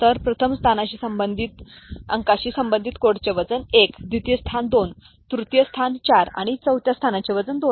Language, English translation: Marathi, So, the first position is associated with the digit will be having a code weight of 1, second position 2, third position 4, and the fourth position is having a weight of 2